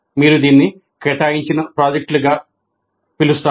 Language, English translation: Telugu, Actually you can call this assigned projects